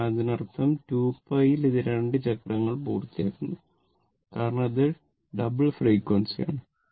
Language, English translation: Malayalam, So, that means, in 2 in 2 pi, it is completing 2 cycles because it is a double frequency